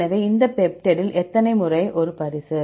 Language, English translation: Tamil, So, How many times A present in this peptide